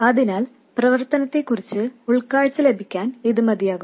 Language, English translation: Malayalam, So to get some insight into the operation, this is good enough